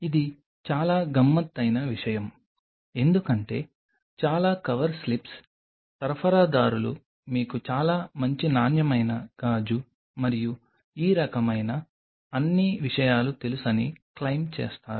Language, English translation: Telugu, This is something very tricky because most of the cover slips suppliers they will claim that you know a very good quality glass and all these kinds of things